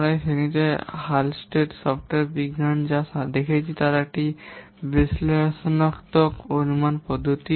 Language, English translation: Bengali, You have seen in this class about Hullstery software science which is an analytical estimation method